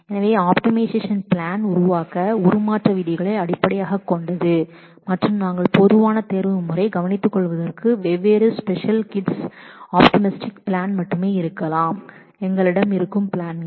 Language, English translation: Tamil, So, the optimize plan generation is also based on the transformation rules and we may have only different special kits approaches to take care of the common optimization plans that we might have